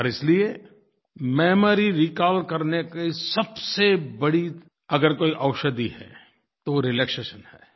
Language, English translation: Hindi, And therefore the most effective medicine that exists for memory recall is relaxation